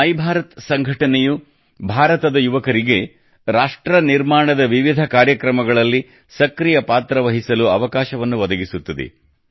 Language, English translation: Kannada, My Bharat Organization will provide an opportunity to the youth of India to play an active role in various nation building events